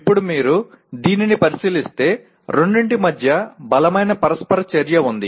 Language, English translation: Telugu, Now if you look at this there is obviously strong interaction between the two